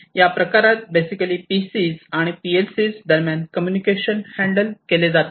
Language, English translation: Marathi, This basically handles the communication between the PCs and the PLCs